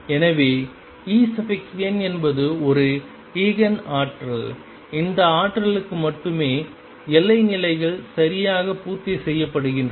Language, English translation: Tamil, So, E n is an Eigen energy, it is only for these energies that the boundary conditions is satisfied properly